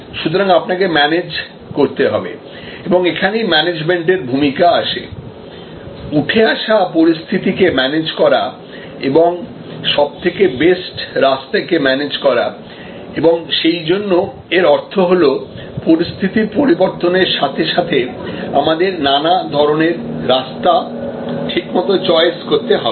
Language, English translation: Bengali, So, you will have to manage and this is where the role of management comes, manage the evolving situation and manage the best path available and therefore, it means that as the situation change there will have to be choices made according to the change in conditions